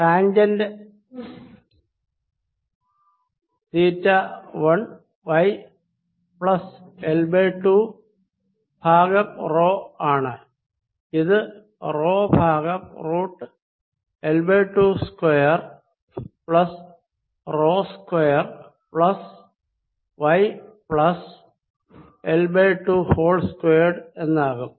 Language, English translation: Malayalam, lets check that tangent of theta one is y plus l by two over rho, so this will become rho over squared root of l by two, square plus rho, square plus y plus l by two, whole square